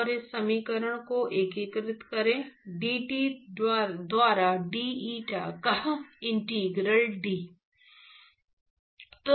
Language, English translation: Hindi, And integrate this equation, integral d of dT by d eta